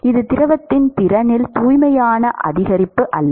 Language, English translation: Tamil, It is not pure increase in the capacity of the of the fluid